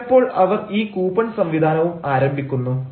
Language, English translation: Malayalam, sometimes they also start this coupon system